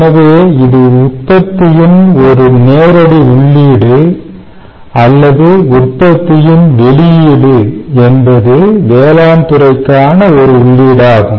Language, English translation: Tamil, so thats a direct ah input of, or or the output of manufacturing is an input to agriculture sector and service